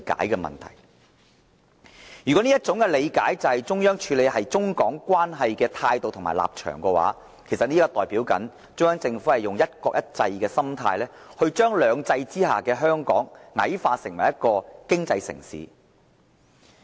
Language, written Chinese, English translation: Cantonese, 如果這種理解代表了中央處理中港關係的態度和立場，中央政府就是以"一國一制"的心態，將"兩制"之下的香港矮化為一個經濟城市。, If such an understanding is representative of the attitude and position of the Central Authorities in dealing with Mainland - Hong Kong relationship the Central Government is actually looking at the territory with a one country one system mindset and dismisses Hong Kong which is a part of two systems as an economic city